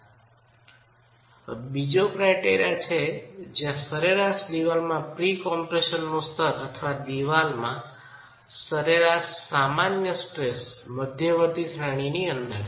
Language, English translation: Gujarati, So, this is our second criterion where we expect the level of average, the level of pre compression in the wall or the average normal stress in the wall to be of intermediate range